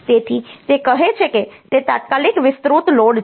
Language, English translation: Gujarati, So, it says that it is a load extended immediate